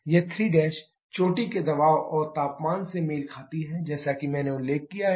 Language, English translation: Hindi, This 3 prime corresponds to peak pressure and temperature as I have mentioned earlier